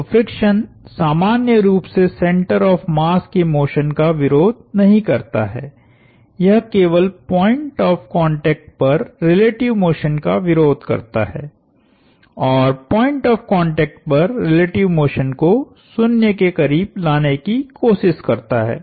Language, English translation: Hindi, So, friction in general does not oppose the motion of the center of mass, it only opposes relative motion at the point of contact and tries to bring the relative motion at the point of contact to near 0 values